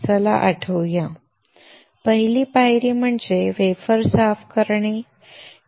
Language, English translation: Marathi, Let’s recall; The first step is wafer cleaning